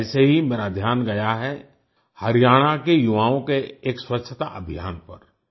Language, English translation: Hindi, That's how my attention was drawn to a cleanliness campaign by the youth of Haryana